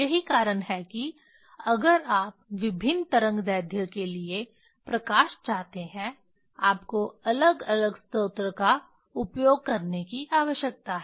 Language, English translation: Hindi, That is why for light for different wavelength if you want; you need to use different source